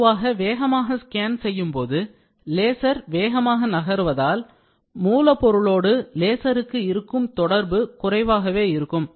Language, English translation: Tamil, So, basically when you quickly scan it is going to be fast movement laser interacting with a material is less